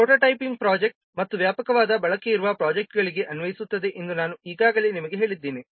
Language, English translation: Kannada, I have already told you this is applicable to prototyping projects and projects where there are extensive reuse